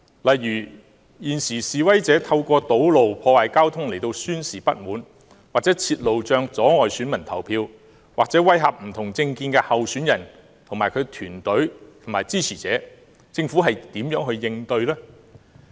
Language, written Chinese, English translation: Cantonese, 例如，現時示威者透過堵路、破壞交通來宣示不滿，或設路障阻礙選民投票，或威嚇不同政見的候選人、競選團隊及其支持者，政府如何應對呢？, For instance protesters now vent their anger by blocking roads destroying transport facilities or by erecting barricades to hinder people from going to vote and intimidating candidates campaign teams and their supporters of different political views . How will the Government cope with these problems?